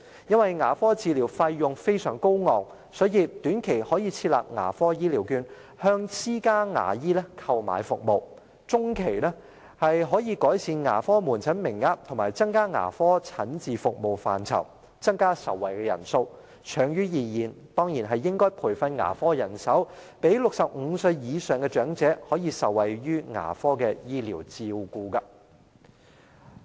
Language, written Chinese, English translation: Cantonese, 因為牙科治療費用非常高昂，所以短期可以設立"牙科醫療券"，向私家牙醫購買服務；中期可以改善牙科門診服務名額，以及增加牙科診治服務範疇，增加受惠人數；長遠而言，當然應該培訓牙科人手，讓65歲以上的長者可以受惠於牙科醫療照顧。, As the costs of dental treatment can be very high dental care vouchers can be introduced in the short term to procure services from private dentists . In the medium term the Government should consider increasing the number of consultation quotas and expanding the coverage of outpatient dental services so as to benefit more patients . Training of dental personnel should of course be enhanced in the long term so as to provide elderly persons aged over 65 with the necessary dental care services